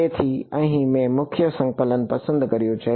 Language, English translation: Gujarati, So, here I have chosen the prime coordinate